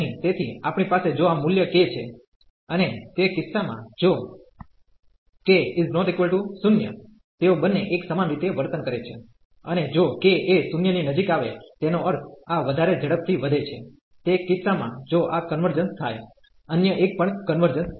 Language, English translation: Gujarati, So, we have if this value is k, and in that case if k is not equal to 0, they both will behave the same and if k comes to be equal to 0 that means, this is growing much faster; in that case if this converges, the other one will also converge